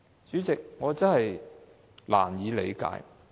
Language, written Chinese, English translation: Cantonese, 主席，我真的難以理解。, President I really find it hard to comprehend